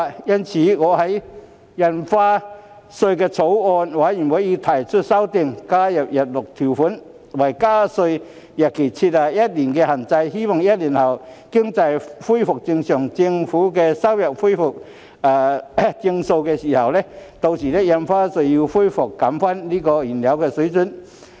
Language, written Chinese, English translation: Cantonese, 因此，我已就《2021年收入條例草案》提出修正案，加入日落條款，為加稅日期設下一年的限制，希望在一年後經濟恢復正常，政府收入亦回復正常的時候，將印花稅回復原來水平。, Therefore I have proposed an amendment to the Revenue Stamp Duty Bill 2021 . It is hoped that by adding a sunset clause to limit the duration of the proposed increase to one year Stamp Duty will be restored to its original level when both the economy and government revenues return to normal one year later